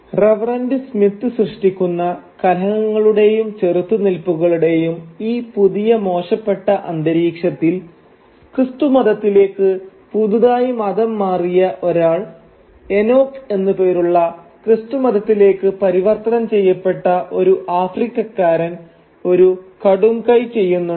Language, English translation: Malayalam, And in this new vitiated atmosphere of conflict and confrontation that Reverend Smith creates, a new Christian convert, an African but converted to Christianity who goes by the name of Enoch he does something drastic